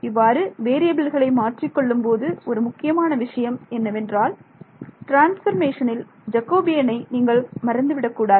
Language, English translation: Tamil, When you do change of variables what is the main thing that you should not forget the Jacobian of the transformation right